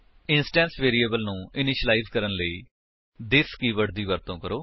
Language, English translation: Punjabi, Use this keyword to initialize the instance variables